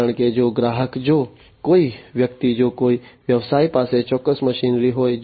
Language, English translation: Gujarati, Because, you know, if the customer, you know if somebody if a business has a particular machinery